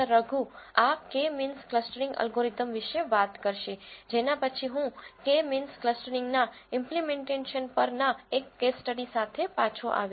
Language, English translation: Gujarati, Raghu will talk about this k means clustering algorithm after which I will come back with a case study on how to implement k means clustering